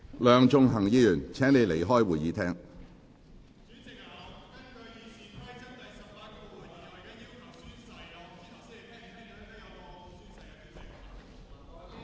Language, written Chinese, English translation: Cantonese, 梁頌恆議員，請離開會議廳。, Mr Sixtus LEUNG please leave the Chamber